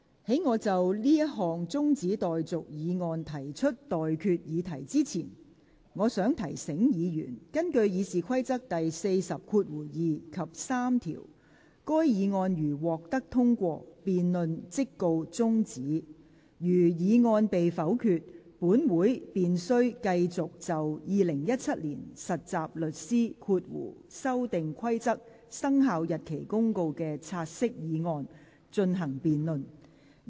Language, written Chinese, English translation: Cantonese, 在我就這項中止待續議案提出待決議題之前，我想提醒議員，根據《議事規則》第402及3條，該議案如獲得通過，辯論即告中止待續；如議案被否決，本會便須繼續就《〈2017年實習律師規則〉公告》的"察悉議案"進行辯論。, Before I put the question on this adjournment motion I wish to remind Members that in accordance with Rule 402 and 3 of the Rules of Procedure if the motion is agreed to the debate shall stand adjourned; if the motion is negatived this Council shall continue to debate the take - note motion on the Trainee Solicitors Amendment Rules 2017 Commencement Notice